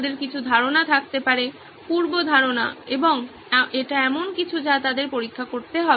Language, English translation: Bengali, We may have some ideas preconceived notions and that is something that they will have to test out